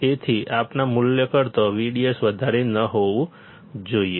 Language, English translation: Gujarati, So, we should not exceed V D S more than a value